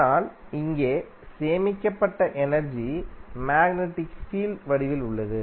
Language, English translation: Tamil, But here the stored energy is in the form of magnetic field